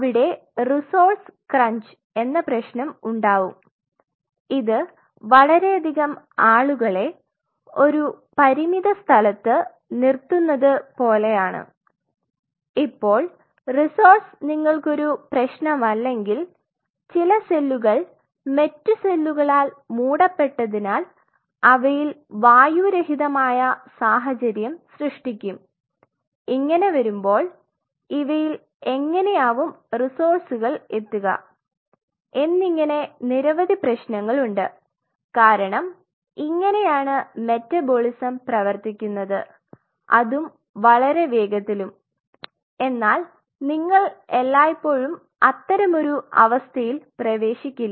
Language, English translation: Malayalam, So, the problem is that then there will be a resource crunch, it is just like you put too many people in a confined location and now you have resources that is not an issue, but how the resource will reach to the cells which are kind of you know covered by other cells and it creates an anaerobic situation and there are series of problems, which because it the way the metabolism will function it will be functioning at that tremendous pace and you do not always get into that kind of situation right